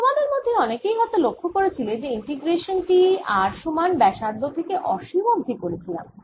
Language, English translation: Bengali, but some of you may have noticed that i am doing an integration from r equal to radius upto infinity